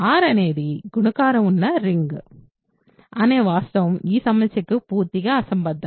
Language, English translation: Telugu, The fact that R is a ring which has multiplication is completely irrelevant for this problem